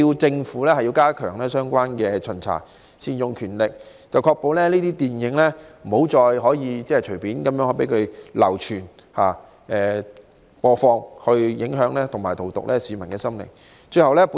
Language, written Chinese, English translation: Cantonese, 政府亦必須加強相關巡查，善用權力，確保這些電影不能再隨便流傳及播放，影響和荼毒市民的心靈。, The Government should also step up inspection and appropriately exercise its power so that such films can no longer be circulated and broadcast freely to affect and poison the mind of the people